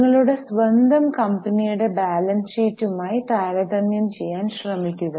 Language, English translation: Malayalam, So, try to understand, try to compare with balance sheet of your own company